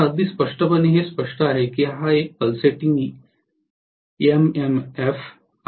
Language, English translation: Marathi, Now, very clearly because it is a pulsating MMF